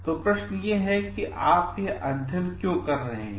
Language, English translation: Hindi, So, like questions like why you are doing this study